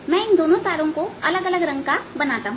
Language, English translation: Hindi, right, let me make the other string in a different color